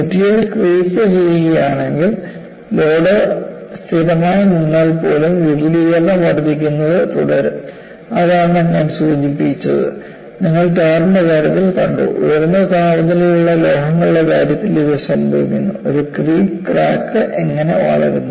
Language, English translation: Malayalam, If the material creeps, even though the load remains constant, the extension will continue to increase; that is what I mentioned that, you come across in the case of a tar, this happens in the case of metals at high temperatures and how does a creep crack growths